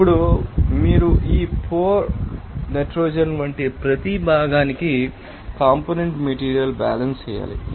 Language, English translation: Telugu, Now, after that you have to do the component material balances for each component like this pore nitrogen